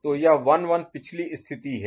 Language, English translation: Hindi, So, this 1 1 is your previous state, right